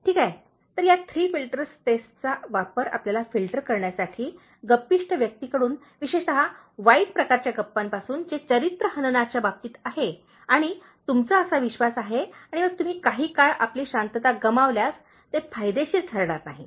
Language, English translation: Marathi, Okay, so use this Three Filters Test to filter you, from gossipers, particularly the bad kind of gossiping that is happening in terms of character assassination and you believe that and then you lose your peace of mind for some time it is not worth it